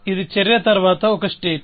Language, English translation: Telugu, This is a state after action one